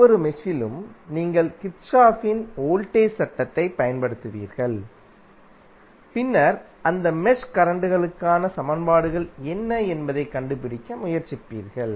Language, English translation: Tamil, You will use Kirchhoff's voltage law in each mesh and then you will try to find out what would be the equations for those mesh currents